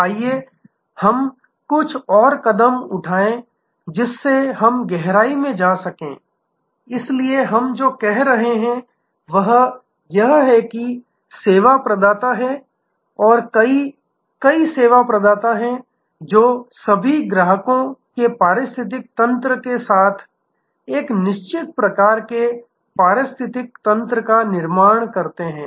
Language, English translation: Hindi, Let us take some more let us go deeper into this, so what we are saying is that there are service providers and there are many, many service providers they all forms certain kind of an ecosystem with an ecosystem of customers